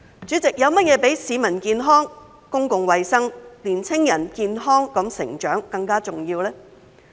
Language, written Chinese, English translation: Cantonese, 主席，有甚麼比市民健康、公共衞生、年輕人健康成長更加重要呢？, President what is more important than peoples health public health and the healthy development of young people?